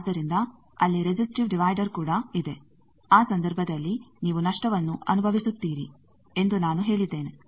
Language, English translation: Kannada, So, also there is resistive divider as I said that in that case you are suffering loss